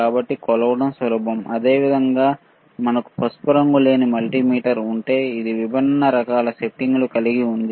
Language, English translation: Telugu, So, easy to measure similarly, if we have multimeter which is not the yellowish one, right; which is which has different kind of settings